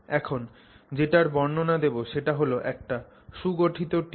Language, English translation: Bengali, The description I am giving you now is for a well formed tube